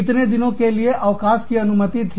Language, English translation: Hindi, How many days were permitted, as leave